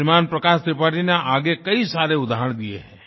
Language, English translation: Hindi, Shriman Prakash Tripathi has further cited some examples